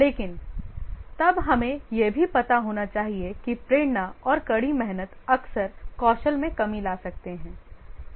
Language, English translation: Hindi, But then we must also be aware that motivation and hard work can often make up for the shortfall in the skills